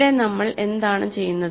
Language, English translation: Malayalam, Here, what are we doing